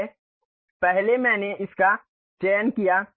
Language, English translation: Hindi, So, first I have selected that